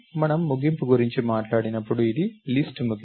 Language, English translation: Telugu, When we talk about the end, this is the end of the list